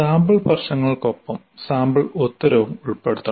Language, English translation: Malayalam, Actually, along with the sample problem, you should also include this sample answer